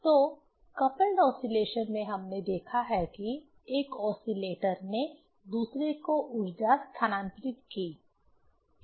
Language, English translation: Hindi, So, in coupled oscillation we have seen that one oscillator transferred the energy to the other one and vice versa